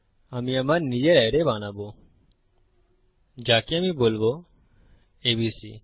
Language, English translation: Bengali, I will create my own array, which I will call ABC